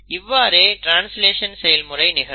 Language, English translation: Tamil, So that is the process of translation